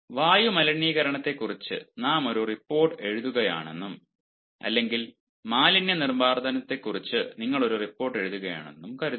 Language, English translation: Malayalam, suppose, ah, we are writing a report on air pollution, you are writing a report on waste disposal